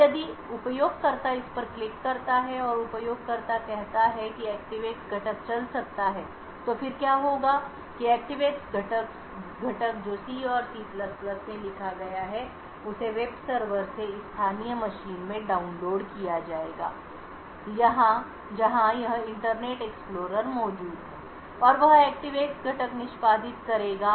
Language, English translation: Hindi, Now if the user clicks on this and the user says that the ActiveX component can run then what would happen is that the ActiveX component which is written in C and C++ would be downloaded from the web server into this local machine where this Internet Explorer is present and that ActiveX component will execute